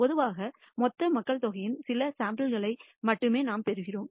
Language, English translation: Tamil, Typically we actually obtain only a few samples of the total number of avail population